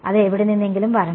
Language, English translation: Malayalam, That has to come from somewhere